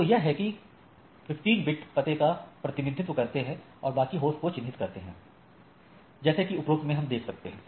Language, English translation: Hindi, So, that first 15 bit represent the address and the rest represent the host like here what we see right